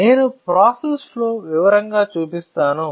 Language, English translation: Telugu, So, I will show you the process flow in detail